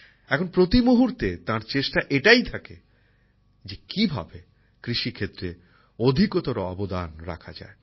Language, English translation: Bengali, Now every moment, he strives to ensure how to contribute maximum in the agriculture sector